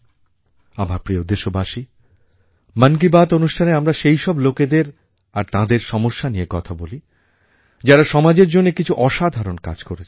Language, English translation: Bengali, My dear countrymen, in "Mann Ki Baat", we talk about those persons and institutions who make extraordinary contribution for the society